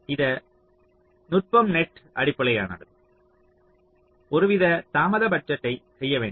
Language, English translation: Tamil, so, net based technique, as i had said, you have to do some kind of delay budgeting